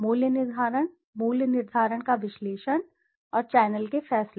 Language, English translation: Hindi, The impact of pricing, analysis of pricing and the channel decisions